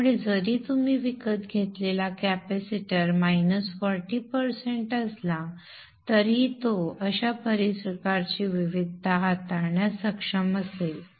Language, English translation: Marathi, So that even the capacitor that you have bought is minus 40% down, it will be able to handle these kind of variations